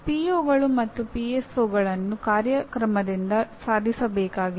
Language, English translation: Kannada, Now POs and PSOs are to be attained by the program